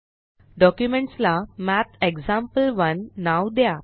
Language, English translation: Marathi, Name the document as MathExample1